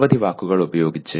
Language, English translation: Malayalam, Using several words